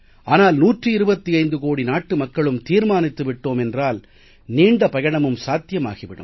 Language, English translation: Tamil, If we, 125 crore Indians, resolve, we can cover that distance